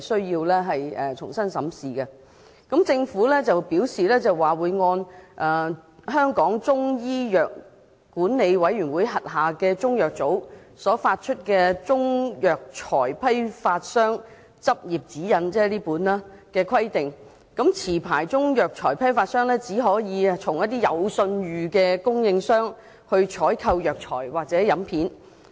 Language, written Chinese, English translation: Cantonese, 就此，政府表示，按香港中醫藥管理委員會轄下中藥組所發出的《中藥材批發商執業指引》——即我手上這本——的規定，持牌中藥材批發商只可以向有信譽的供應商採購藥材或飲片。, In this connection the Government said that according to the Practising Guidelines for Wholesalers of Chinese Herbal Medicines issued by the Chinese Medicines Board under the Chinese Medicine Council of Hong Kong―that means this book in my hand―licensed wholesalers of Chinese herbal medicines may purchase herbal medicines or processed herbal medicines only from reputable suppliers